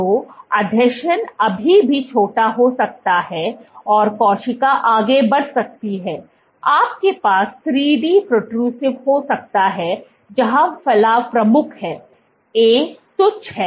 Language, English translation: Hindi, So, adhesion can still be small and cell can move, you can have 3D protrusive where, protrusion is major; A is insignificant, C is insignificant